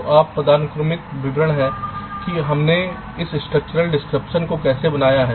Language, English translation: Hindi, so this is the hierarchical description of how we have created this structural description, the four bit adder